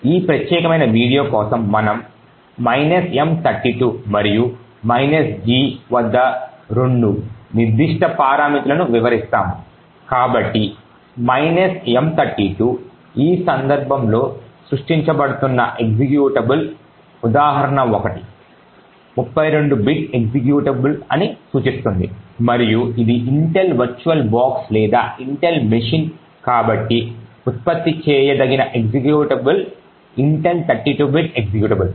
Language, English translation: Telugu, For this particular video we would explain two specific parameters at minus M32 and minus G, so minus M32 indicates that the executable that is getting created in this case example 1 is a 32 bit executable and since this is an Intel Virtual Box or Intel machine therefore, the executable that gets generated is a Intel 32 bit executable